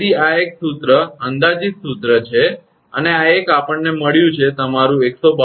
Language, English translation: Gujarati, So, this is one formula approximate formula and this one we got that your 152